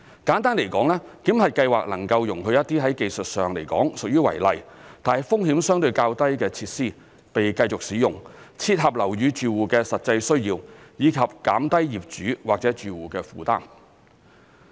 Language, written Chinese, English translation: Cantonese, 簡單來說，檢核計劃能夠容許一些在技術上來說屬於違例，但風險相對較低的設施被繼續使用，切合樓宇住戶的實際需要，以及減低業主或住戶的負擔。, In short the validation scheme allows the continued use of such technically unauthorized but lower risk features to meet the genuine needs of building occupants and minimize the burden of owners or occupants